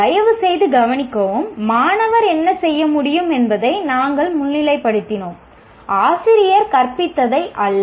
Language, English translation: Tamil, Please note, we highlighted what the student should be able to do, not what the teacher has taught